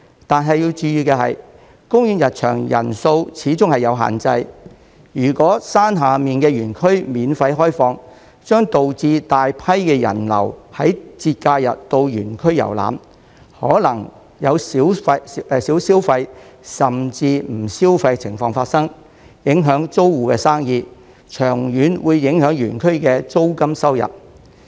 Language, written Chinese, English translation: Cantonese, 但要注意的是，公園入場人數始終有限制，如果山下的園區免費開放，將導致大批的人流於節假日到園區遊覽，可能有少消費甚至不消費的情況發生，影響租戶的生意，長遠會影響園區的租金收入。, However it should be noted that as there is after all a limit on the number of visitors if the lower park is open for free a large number of people will visit the park on holidays and this may lead to a situation where there is little or even no spending by the visitors thus affecting the business of the tenants and the rental income of OP in the long run